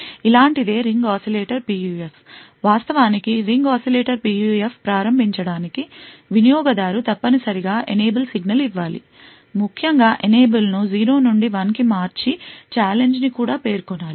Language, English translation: Telugu, The ring oscillators PUF is something like this, to actually start the Ring Oscillator PUF the user would have to give an enable signal essentially, essentially change the enable from 0 to 1 and also specify a challenge